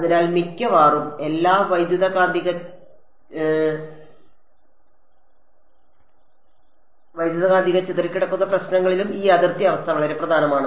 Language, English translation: Malayalam, So, this boundary condition is very important in almost all electromagnetic scattering problems